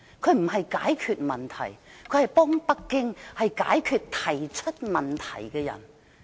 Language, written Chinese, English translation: Cantonese, 她不是解決問題，而是幫北京解決提出問題的人。, Her aim is not to solve the problem . She only wants to help Beijing fix those who raise queries